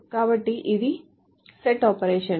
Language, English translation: Telugu, So this is the set operation